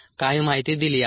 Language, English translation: Marathi, some information is given ah